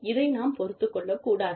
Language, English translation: Tamil, And, should not be tolerated